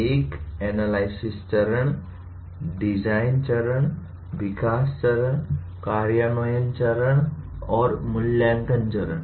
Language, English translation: Hindi, A analysis phase, design phase, development phase, implement phase, and evaluate phase